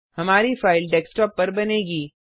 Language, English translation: Hindi, Our file will be created on the desktop